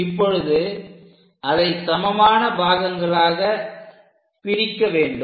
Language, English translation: Tamil, Once it is done, we have to divide this into 12 equal parts